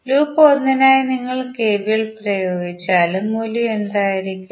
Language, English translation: Malayalam, For loop 1 if you applied what will be the value